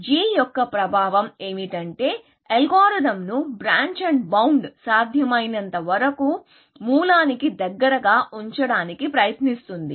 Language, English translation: Telugu, The effect of g is that tries to keep the algorithm like branch and bound, as close to source as possible